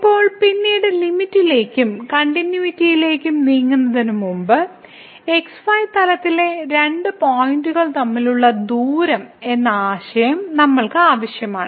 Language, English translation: Malayalam, Now, before we move to the limit and continuity part later on, we need the concept of the distance between the two points in plane